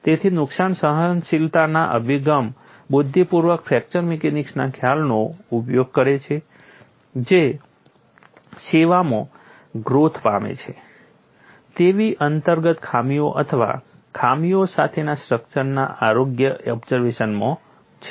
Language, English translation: Gujarati, So, the damage tolerance approach intelligently uses fracture mechanics concepts in health monitoring of structures with inherent flaws or flaws that grow in service